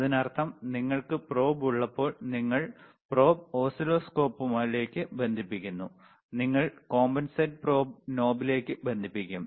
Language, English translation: Malayalam, tThat means, when you have the probe, you connect the probe to the oscilloscope, you will connect it to the probe compensation knob it is right here